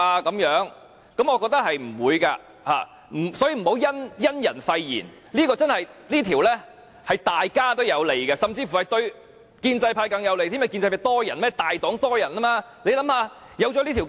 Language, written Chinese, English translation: Cantonese, 我認為是不會的，所以不要因人廢言，這項修訂對大家也有利，甚至乎對建制派更有利，因為建制派有很多議員，他們是大黨。, I do not think that this will happen . Please do not judge a person without hearing his words . This amendment is beneficial to all Members and even more beneficial to the pro - establishment camp because this camp consists of a lot of Members and they are the majority